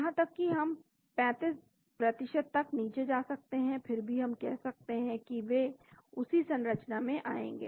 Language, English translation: Hindi, Even we can go down to 35%, still we can call it a, they will come to the same structure